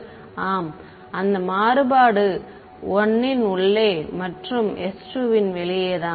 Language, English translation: Tamil, Is that variant we just 1 inside and s 2 outside